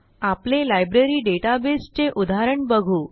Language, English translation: Marathi, We will open our familiar Library database example